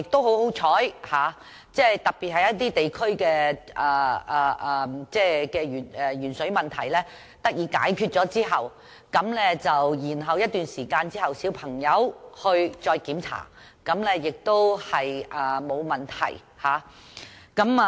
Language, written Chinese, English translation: Cantonese, 很幸運地，特別是某些地區的鉛水問題獲得解決後，過了一段時間，小朋友再接受檢查而發覺沒有問題。, Fortunately after a period of time especially when the lead in drinking water problem was resolved in certain districts the children were found to be all right in their re - assessment . We should learn from the mistakes